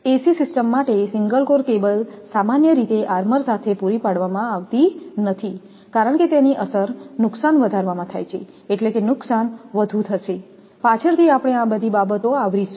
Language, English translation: Gujarati, Single core cable for ac systems are usually not provided with armour because of its effect in increasing the losses; because, loss will be more, later will come to all this thing